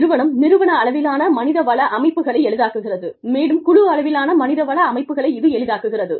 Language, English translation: Tamil, The organization, facilitates the organizational level HR systems, facilitate the team level HR systems, which in turn facilitate the employee perceived HR systems